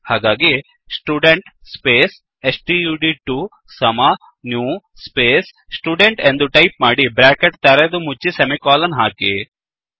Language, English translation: Kannada, So, I will type: Student space stud2 equal to new space Student opening and closing brackets semicolon